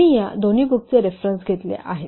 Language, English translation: Marathi, We have taken the references from these two books